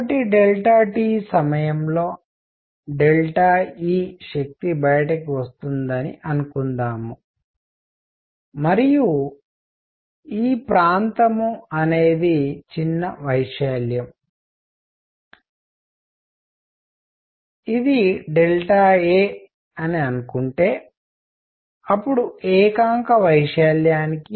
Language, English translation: Telugu, So, suppose delta E energy comes out in time delta t and suppose this area is small area is delta A then per unit area